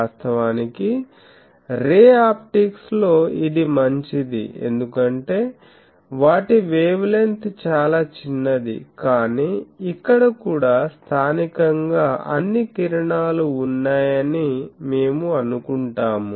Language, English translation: Telugu, Actually, in ray optics this holds good because they are wavelength is very small, but here also we will assume these that locally all the rays